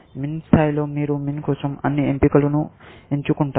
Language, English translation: Telugu, At min level, you choose all choices for max